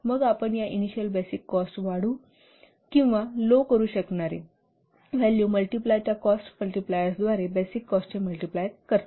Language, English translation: Marathi, Then you what multiply the basic cost by these attribute multipliers or the cost multipliers which either may increase or decrease this initial basic cost